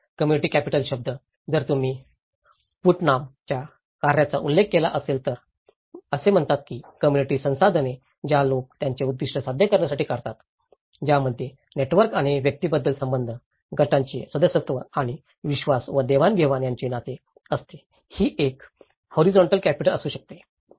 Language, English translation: Marathi, The term social capital; if you refer to Putnam's work on, it says the social resources which people draw upon to pursue their objectives, these comprise networks and connections between individuals, membership of groups and relationships of trust and exchange, it could be a horizontal capital, it could be a vertical capital, it could be a network within a group, it could be across groups